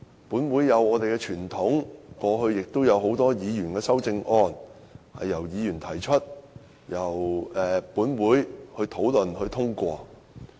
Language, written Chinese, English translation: Cantonese, 本會有傳統，過去也有不少修正案由議員提出，經本會討論後通過。, This Council has a tradition of having a number of amendments being proposed by Members and such amendments are being debated and passed by this Council